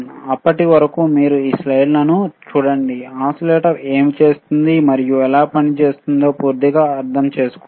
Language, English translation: Telugu, Till then you just look at these slides look at what I have taught, , understand thoroughly what does what, and how exactly the oscillator works